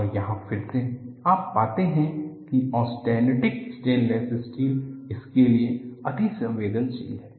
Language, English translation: Hindi, And here again, you find austenitic stainless steel is susceptible to this